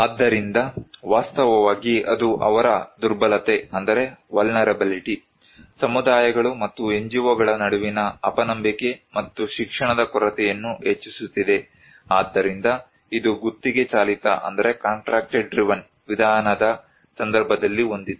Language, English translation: Kannada, So, actually that is increasing their vulnerability, mistrust between communities and NGOs and lack of education, so this had in case of contracted driven approach